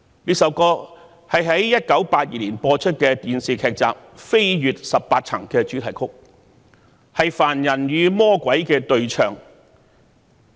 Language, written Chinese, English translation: Cantonese, 這首歌是1982年播出的電視劇集"飛越十八層"的主題曲，是凡人與魔鬼的對唱。, It was the theme song of a television drama series You Only Live Twice which was broadcasted in 1982 and a duet by a mortal and a devil